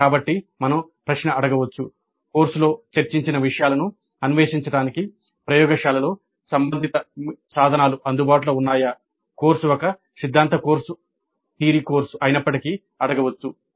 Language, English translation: Telugu, So we can ask the question whether relevant tools are available in the laboratories to explore the material discussed in the course though the course was a theory course